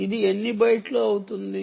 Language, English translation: Telugu, you dont need to carry many bytes